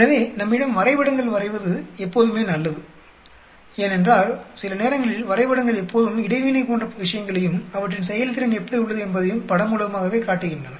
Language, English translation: Tamil, So, we have it is always good to draw up figures because sometimes figures always show as things like interaction and how their performance is pictorially